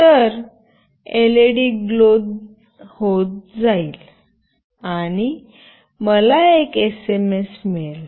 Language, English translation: Marathi, So, the LED glows, and I will receive an SMS